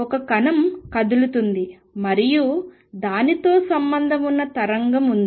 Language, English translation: Telugu, There is a particle moving and there is a wave associated with it